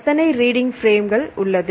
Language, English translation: Tamil, So, how many reading frames